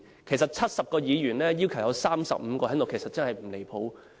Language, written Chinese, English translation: Cantonese, 其實70名議員當中，要求有35人在席，真的不離譜。, In fact it is really not going too far by asking 35 Members among the 70 Members to be present in the Chamber